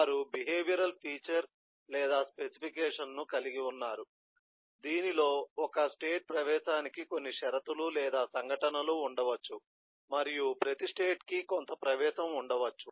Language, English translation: Telugu, they have a behavioral feature or specification in that a state will may be have certain eh conditions or event for entry